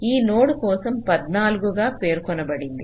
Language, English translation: Telugu, for this node it was specified as fourteen